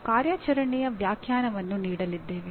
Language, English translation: Kannada, We are going to give an operational definition